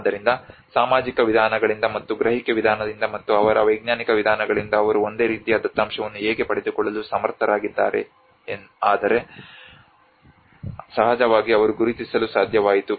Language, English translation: Kannada, So by both by the social approaches and as perception approach and by their scientific approaches how they have able to get a similar set of data but of course they could able to identify